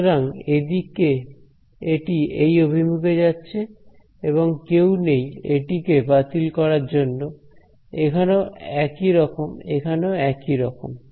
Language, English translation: Bengali, So, over here it is going in this direction; no one to cancel it similarly here, similarly here